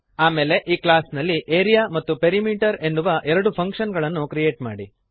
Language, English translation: Kannada, Then Create two functions of the class as Area and Perimeter